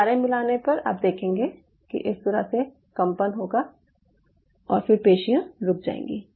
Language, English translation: Hindi, you will see, upon addition of curare there will be shaking like this and then the muscle will stop